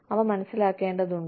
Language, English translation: Malayalam, They need to be understood